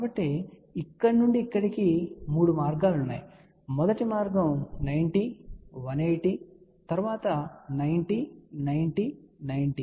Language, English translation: Telugu, So, from here to here there are 3 paths, so path one 90, 180, then 90, 90, 90, then 90, 90, 90